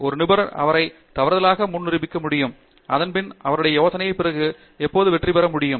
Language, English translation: Tamil, The one expert can prove everybody before him was wrong and then his or her idea can then prevail forever after that